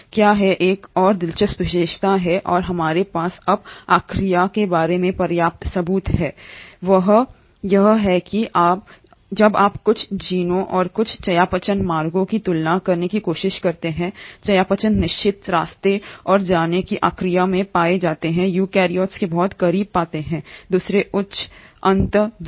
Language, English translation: Hindi, What is another interesting feature and we now have sufficient proof about Archaea, is that when you try to compare certain genes and certain metabolic pathways, the metabolic certain pathways and genes which are found in Archaea are found to be very close to the eukaryotes, the other higher end organisms